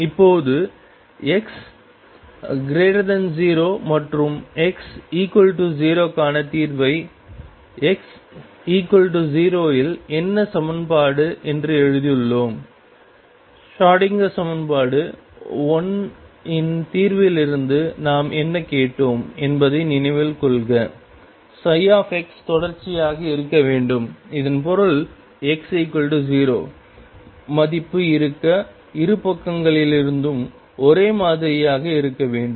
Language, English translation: Tamil, Now, we have written the solution for x greater than 0 and x equal 0 what about at x equal to 0 is the equation, recall what we asked what we demanded from the solution of the Schrodinger equation 1 psi x be continuous and this means at x equals 0, the value should be the same from both sides